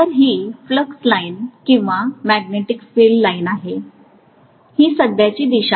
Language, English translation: Marathi, So this is the flux line or magnetic field lines whereas this is the current direction